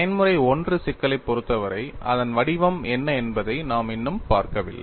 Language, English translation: Tamil, We are yet to see, for the case of a Mode 1 problem, what is its form